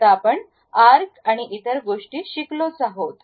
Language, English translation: Marathi, Now, we have learned about arcs and other thing